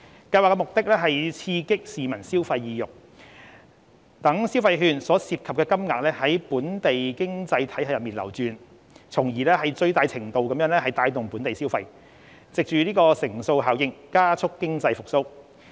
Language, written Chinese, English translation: Cantonese, 計劃的目的是刺激市民消費意欲，讓消費券所涉及的金額在本地經濟體系內流轉，從而最大程度帶動本地消費，藉乘數效應加速經濟復蘇。, The Consumption Voucher Scheme the Scheme aims to stimulate the consumer sentiment enabling the funding under the consumption vouchers to circulate in the local economy so as to boost local consumption to the fullest extent and accelerate economic recovery through the multiplier effect